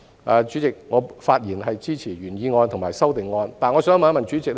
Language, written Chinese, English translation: Cantonese, 代理主席，我發言支持原議案及修正案。, Deputy President I speak in support of the original motion and the amendment